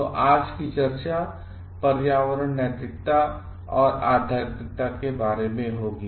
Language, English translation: Hindi, So, today s discussion will be about environmental ethics and spirituality